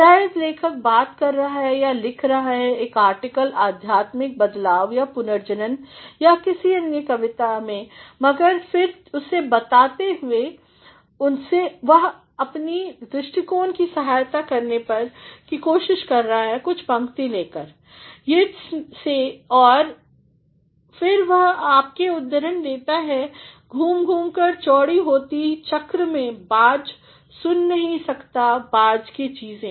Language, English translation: Hindi, Might be the writer is talking off or writing an article on spiritual transformation in regeneration in some other poems, but then while making it, he is also trying to support his views by taking some lines from Yeats it is and then he quotes you, “turning and turning in the widening gyre the falcon cannot hear the falconer things